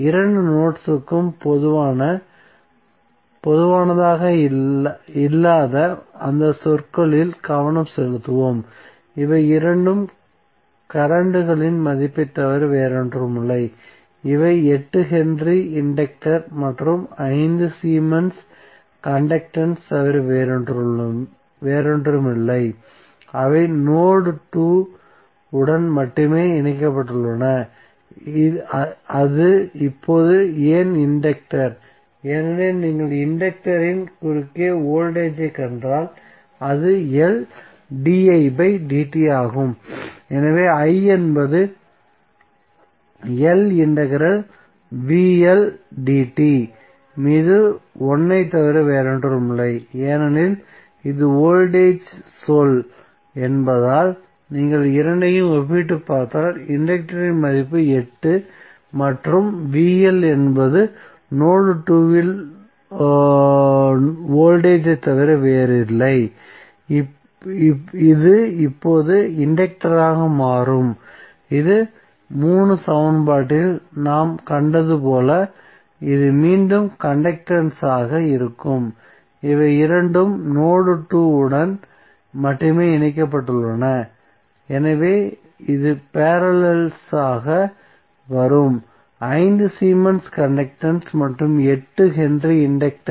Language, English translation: Tamil, Now let us come to equation 4, we will discuss this two terms when we discuss this two terms because both are same and both are defining something which is common to both of the nodes, so let us concentrate on those terms which are not common to both of the nodes, so this two are nothing but the value of currents and thees are nothing but 8 henry inductor and 5 Siemens conductance which is connected to only node 2, why it is now the inductor because if you see the voltage across inductor it is L di by dt, so i would be nothing but 1 upon L integral vl dt, since this is the voltage term so if you compare both of them the value of inductance would be 8 and vl is nothing but voltage at node 2 so this will now become the inductance and this will be again the conductance as we saw in the equation 3, so this two are only connected to node 2 so this would be coming in parallel, 5 Siemens conductance and 8 henry inductance